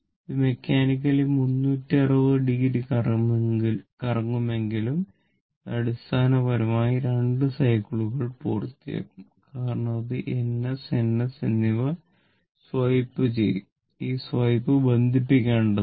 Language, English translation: Malayalam, Although, it will rotate electrically or mechanically 360 degree, but it will basically complete 2 cycle because it will swap swipe N S and N S, this swipe has to link